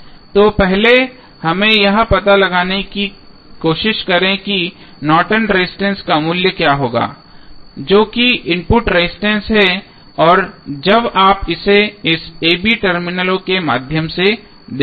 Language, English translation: Hindi, So, first let us try to find out what would be the value of Norton's resistance that is input resistance when you will see from this through this a, b terminal